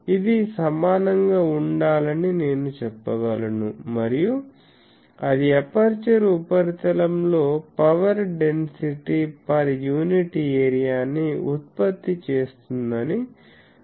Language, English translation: Telugu, So, I can say that this should be equal to and for that suppose it produces a power density per unit area in the aperture surface